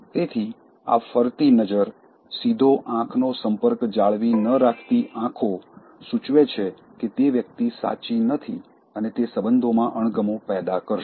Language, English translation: Gujarati, So, these shifting glances, not maintaining direct eye contact, will indicate that the person is not genuine and it will create dislike in relationships